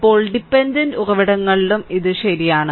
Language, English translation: Malayalam, Now, it is true also for dependent sources